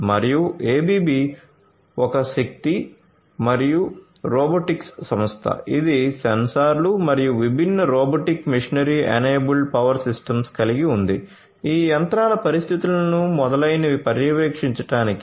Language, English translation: Telugu, And ABB as you know is a powerful is a power and robotics firm which comes you know which has sensors which has you know different robotic machinery enabled power systems, for monitoring the conditions of these machines and so on